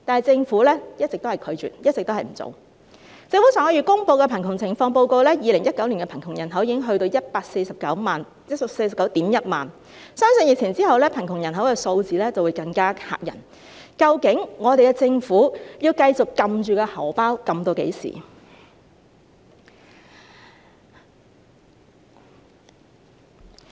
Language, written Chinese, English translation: Cantonese, 政府上月公布的2019年香港貧窮情況報告顯示 ，2019 年的貧窮人口已達 1,491 000人，相信疫情過後，貧窮人口數字會更嚇人，究竟我們的政府要繼續按住口袋至何時？, According to the Hong Kong Poverty Situation Report 2019 released by the Government last month the poor population already stood at 1 491 000 persons in 2019 . It is believed that after the epidemic the figures of poor population will be even more alarming . For how long will our Government remain tight - fisted?